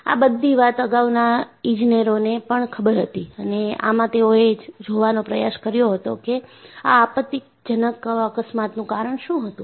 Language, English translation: Gujarati, So, this was also known by earlier engineers and they try to look at, what was the cause of those catastrophic accidents